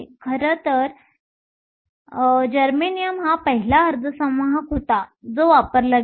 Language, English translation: Marathi, In fact, germanium was the first semiconductor that was used